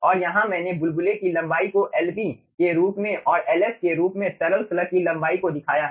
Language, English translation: Hindi, i have shown the length of the bubble as lb and the length of liquid slug as ls